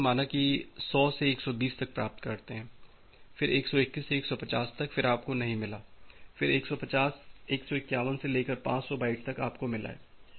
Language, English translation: Hindi, Ok, so, you have received from say 100 to 120, then 121 to 150, you have not received then from 151 to some 500 byte you have received